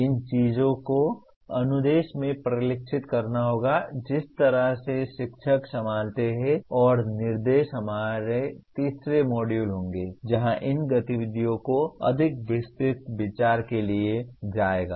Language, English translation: Hindi, These things will have to get reflected in the instruction, the way the teachers handle and instruction will be our third module where these activities will be taken up for more detailed considerations